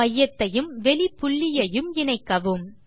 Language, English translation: Tamil, Join centre and external point